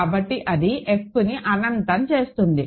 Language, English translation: Telugu, So, that forces F to be infinite